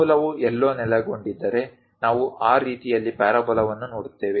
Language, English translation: Kannada, If origin is somewhere located, then we will see parabola in that way